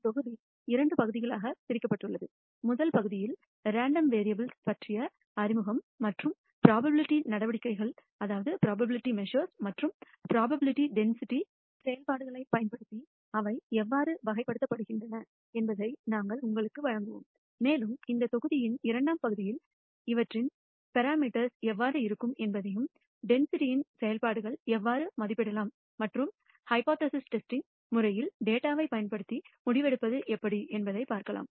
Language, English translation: Tamil, The module is divided into two parts: in the first part we will provide you an introduction to random variables and how they are characterized using probability measures and probability density functions, and in the second part of this module we will talk about how parameters of these density functions can be estimated and how you can do decision making from data using the method of hypothesis testing